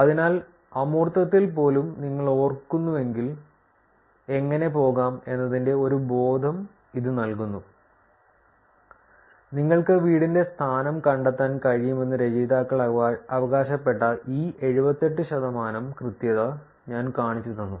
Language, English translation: Malayalam, So, that gives you a sense of how also if you go if you remember even in the abstract I showed you this 78 percent of accuracy that the authors claimed that you can find the home location